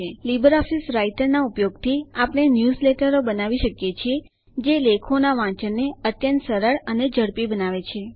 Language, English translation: Gujarati, Using LibreOffice Writer one can create newsletters which make reading of articles much easier and faster